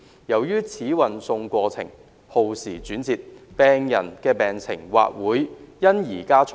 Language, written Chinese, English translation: Cantonese, 由於此運送過程轉折耗時，病人的病情或會因而加重。, As this transfer process is indirect and time - consuming the conditions of the patients may be aggravated as a result